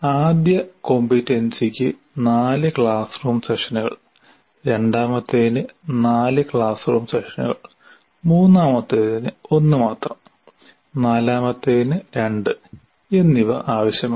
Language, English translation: Malayalam, Here we divided the first competency requires four classroom sessions, second one four classroom sessions, third one only one and fourth one requires two